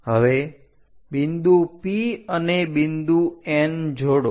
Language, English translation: Gujarati, Now, join P point and N point